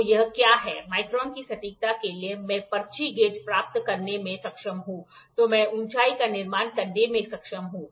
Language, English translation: Hindi, So, what is that to accuracy of micron I am able to get the slip gauges then I am able to builds the height